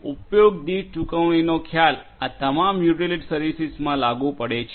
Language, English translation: Gujarati, So, pay per use concept is applied in all these utility services